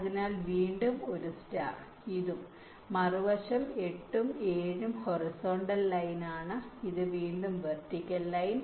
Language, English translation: Malayalam, so again a star, this and this, and the other side, eight and seven, where horizontal line, and this again with the vertical line